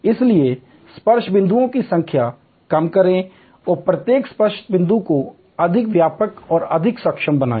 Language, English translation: Hindi, So, reduce the number of touch points and make each touch point more comprehensive and more capable